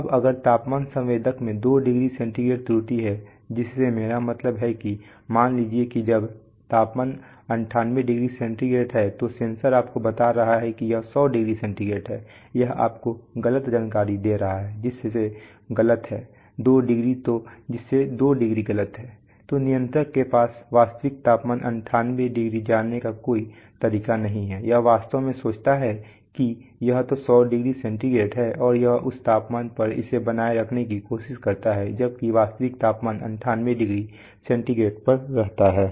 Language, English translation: Hindi, Now if the temperature sensor has a 2 degree centigrade error, by which I mean that suppose when the temperature is 90 degree 98 degree centigrade the sensor is telling you that it is hundred degree centigrade it is giving you a wrong information by which is wrong by 2 degrees then the controller has no way of knowing the actual temperature 98 it actually thinks that it is hundred degree centigrade and it tries to maintain it at that that temperature while the actual temperature stays at 98 degree centigrade